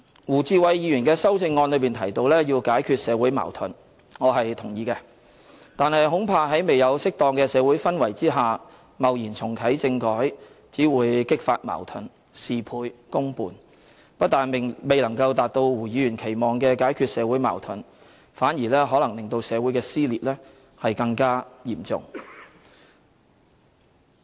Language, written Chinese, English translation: Cantonese, 胡志偉議員的修正案提到要解決社會矛盾，我是同意的，但恐怕在未有適當的社會氛圍下，貿然重啟政改只會激發矛盾，事倍功半，不但未能夠達到胡議員所期望的解決社會矛盾，反而令社會的撕裂更加嚴重。, I agree with the views of Mr WU Chi - wai who opined in his amendment that efforts should be made to resolve social conflicts . However I am afraid that in the absence of a favourable social atmosphere an attempt to reactivate constitutional reform rashly will only intensify contradictions and get half the results with twice the efforts . It will not only fail to fulfil Mr WUs expectation of resolving social conflicts but also intensify dissension within society